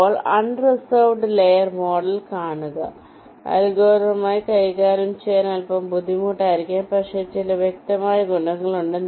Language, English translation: Malayalam, now see unreserved layer model, maybe little difficult to handle algorithmically but has some obvious advantages